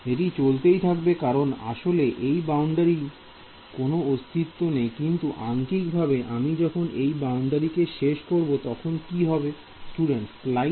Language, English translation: Bengali, It will keep going this wave will keep going because this boundary does not actually exist, but mathematically when I end my boundary over here what will happen